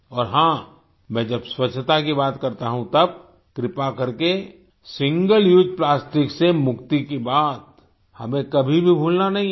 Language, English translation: Hindi, And yes, when I talk about cleanliness, then please do not forget the mantra of getting rid of Single Use Plastic